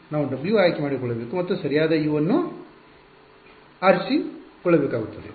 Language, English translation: Kannada, We have to choose w’s and we have to choose u’s correct